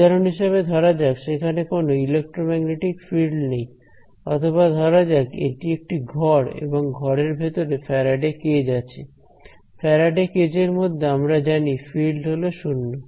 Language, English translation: Bengali, For example, maybe it is there are there are no electromagnetic fields there or let us say it is a room and inside a room there is a Faraday cage, inside the Faraday cage we know that the field is 0